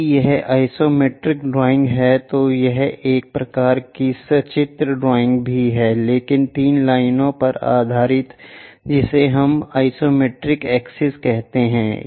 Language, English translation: Hindi, If it is isometric drawing a type of it is also a type of pictorial drawing, but based on 3 lines which we call isometric access